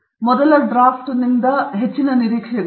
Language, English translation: Kannada, And very high expectations of first draft